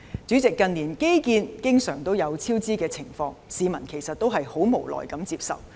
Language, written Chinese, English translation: Cantonese, 主席，近年的基建經常出現超支，市民只能無奈接受。, President in recent years we have seen cost overruns in infrastructure projects . The public have no choice but to accept them